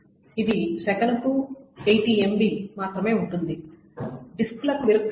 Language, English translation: Telugu, It can be only 80 megabytes per second